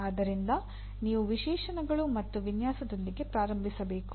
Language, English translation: Kannada, So you start with specifications and design